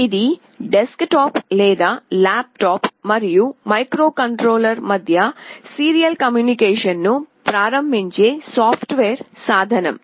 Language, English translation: Telugu, It is a software tool that enables serial communication between a desktop or a laptop and the microcontroller